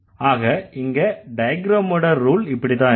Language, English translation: Tamil, So, here the rule or the diagram should be like this